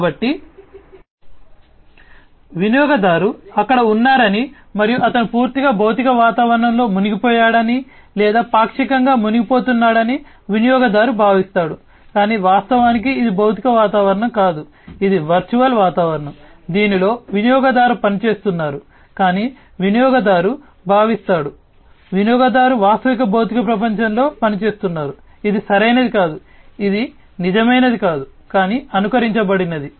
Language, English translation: Telugu, So, user feels that the user is there and he is operating completely immersed or partially immersed in the physical environment, but actually it is not a physical environment, it is a virtual environment, in which the user is operating, but the user feels that the user is operating in the real physical world, which is not correct which is not the real one, but a simulated one